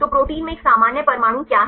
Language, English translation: Hindi, So, what a normal atoms in the protein